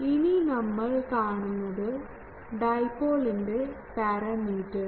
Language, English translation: Malayalam, Now what are the parameters of the dipole